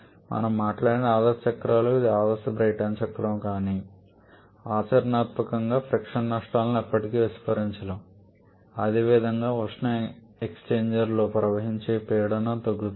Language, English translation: Telugu, Ideal cycles or ideal Brayton cycle we have talked about, but practically the frictional losses can never be neglected and similarly the pressure drop while it flows to the heat exchangers